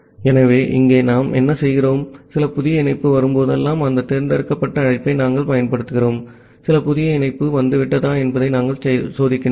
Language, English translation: Tamil, So, here earlier what we are doing, that whenever some new connection is coming using that select call we are checking that some new connection has arrived